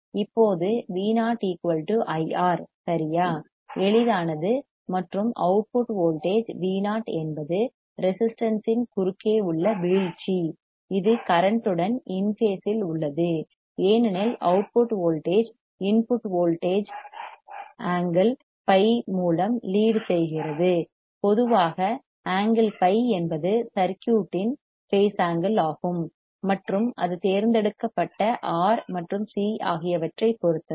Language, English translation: Tamil, Now V o equals to I R, right, easy and the output voltage V o is drop across the resistance, it is in phase it is phase with current as the output voltage leads the input voltage by angle phi in general phi is called the phase angle of the circuit and depends on R and c selected